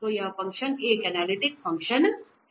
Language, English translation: Hindi, So, this function is an analytic is analytic function